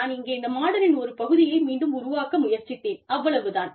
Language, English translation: Tamil, I have just tried to recreate, a part of this model, over here